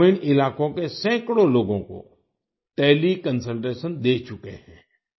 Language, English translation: Hindi, He has provided teleconsultation to hundreds of people in rural areas